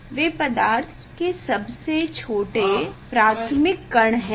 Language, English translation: Hindi, that is a smallest elementary particle for the matter